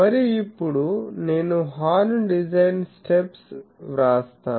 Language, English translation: Telugu, And, now I will write horn design steps, horn design steps